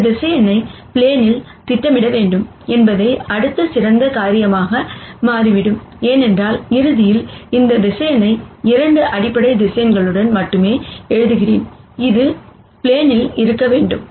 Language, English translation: Tamil, It turns out the next best thing to do would be to project this vector onto the plane, because ultimately, however I write this vector with only this 2 basis vectors it has to be on the plane